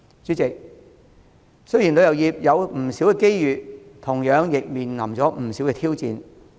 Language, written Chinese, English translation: Cantonese, 主席，雖然旅遊業有不少機遇，但同樣亦面對不少挑戰。, President while the tourism industry enjoys a lot of opportunities it also faces many challenges